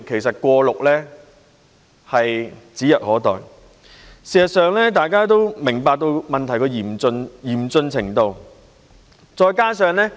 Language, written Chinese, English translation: Cantonese, 事實上，大家都明白到問題的嚴峻程度。, In fact everyone understands the gravity of the problem